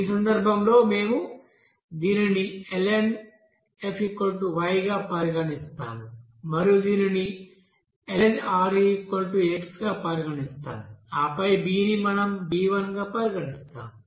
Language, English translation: Telugu, In this case we will consider here this ln f will be is equal to Y and then ln Re will be is equal to x and here b we will be considering as b1